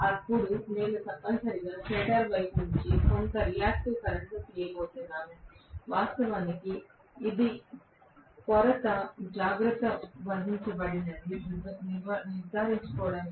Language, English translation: Telugu, Then I am going to have essentially some reactive current is drawn from the stator side to make sure that the shortfall is actually taken care of, right